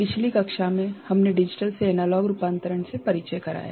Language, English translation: Hindi, In the last class, we got introduced to Digital to Analog Conversion